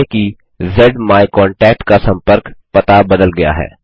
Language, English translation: Hindi, Suppose the contact information for ZMyContact has changed